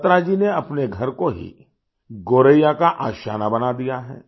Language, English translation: Hindi, Batra Ji has turned his own house into home for the Goraiya